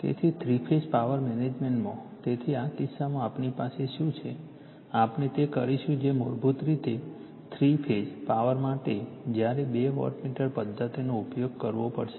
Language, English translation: Gujarati, So, in this case ,, in this case your what will what what, your , what we have, we will do it that basically for Three Phase Power when to use to two wattmeter method